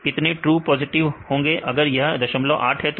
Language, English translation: Hindi, How many true positives if it is 0